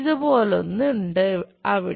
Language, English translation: Malayalam, There is something like